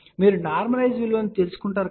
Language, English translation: Telugu, So, you get the normalize value